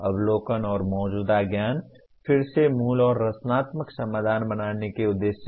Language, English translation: Hindi, Observations and existing knowledge, again for the purpose of creating original and creative solutions